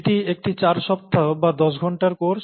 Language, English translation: Bengali, This is a four week course or a ten hour course